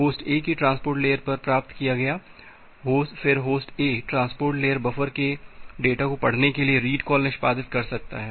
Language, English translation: Hindi, Received at the transport layer of host A, then host A can execute the read call to read the data from the transport layer buffer